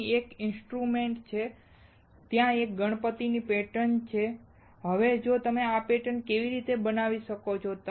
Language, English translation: Gujarati, There is an instrument right here and there is a Ganesha pattern also; Now how can you make this patterns